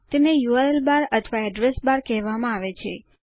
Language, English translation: Gujarati, It is called the URL bar or Address bar